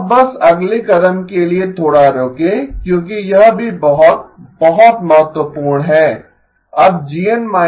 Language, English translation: Hindi, Now just hold on for the next step because this is also very, very important